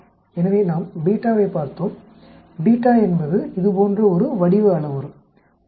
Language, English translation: Tamil, So we looked at beta, beta is the shape parameter like this actually